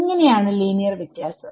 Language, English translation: Malayalam, How is linear different ok